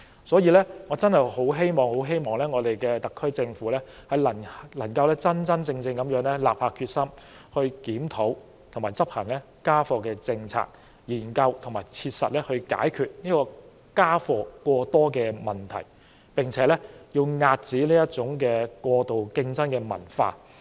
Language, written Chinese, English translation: Cantonese, 所以，我很希望特區政府能夠真正立下決心，檢討現時的家課政策，研究和切實解決家課過多的問題，並且遏止過度競爭的文化。, Hence I hope that the SAR Government can be resolute in reviewing the homework policy now look into and practically tackle the problem of excessive homework and stop the culture of excessive competition